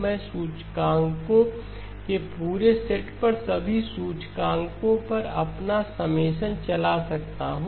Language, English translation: Hindi, I can run my summation over all the indices over the entire set of indices